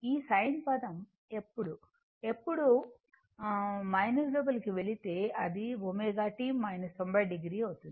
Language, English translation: Telugu, When you go this sin term and when minus going inside, it will be omega t minus 90 degree